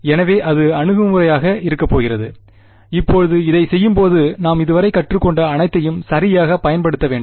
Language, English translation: Tamil, So, that is going to be the approach and we will now when we do this, we will have to apply everything that we have learned so far ok